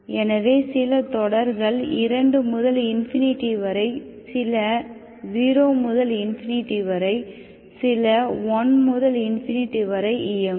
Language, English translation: Tamil, So what are the isolated terms, this is running from 2 to infinity, from 0 to infinity, 1 to infinity, this is from 0 to infinity